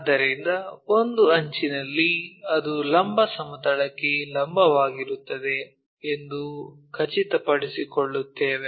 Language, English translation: Kannada, So, the edge, one of the edge, we make sure that it will be perpendicular to vertical plane